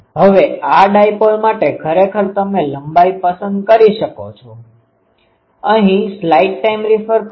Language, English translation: Gujarati, Now, this for dipole actually the length length you can choose